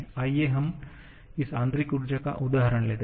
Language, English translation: Hindi, Let us take the example of this internal energy u